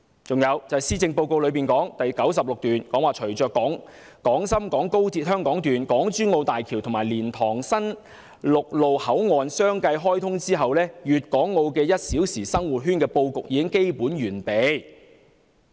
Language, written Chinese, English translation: Cantonese, 此外，施政報告第96段提到，"隨着廣深港高鐵香港段、港珠澳大橋和蓮塘新陸路口岸相繼開通，粵港澳'一小時生活圈'的布局已基本完備。, Moreover in paragraph 96 of the Policy Address it is mentioned that With the commissioning of the Hong Kong Section of the Guangzhou - Shenzhen - Hong Kong Express Rail Link the Hong Kong - Zhuhai - Macao Bridge and the new land boundary control point at LiantangHeung Yuen Wai a one - hour living circle encompassing Guangdong Hong Kong and Macao is basically formed